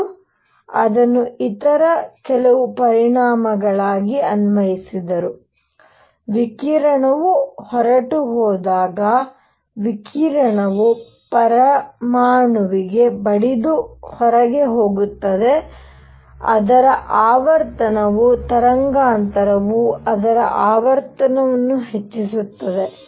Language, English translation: Kannada, He also applied it to some other effects; call the; you know when the radiation goes out, radiation hits an atom and goes out, its frequency changes such that the wavelength increases its frequency goes down